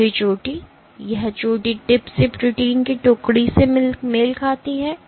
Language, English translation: Hindi, The last peak, this peak corresponds to detachment of protein from tip